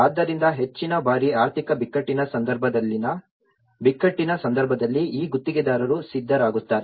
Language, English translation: Kannada, So, most of the times whether in case of crisis in the case of economic crisis so these contractors will be ready